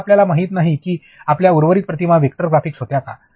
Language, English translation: Marathi, Now, you do not know whether you know your rest of the images were vector graphics